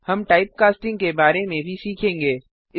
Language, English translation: Hindi, We will also learn about Type casting